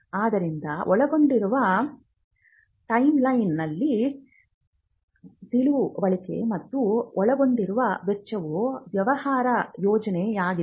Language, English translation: Kannada, So, an understanding of the timeline involved, and the cost involved is something what we call a business plan